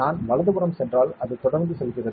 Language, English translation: Tamil, If I go towards the right, it keeps going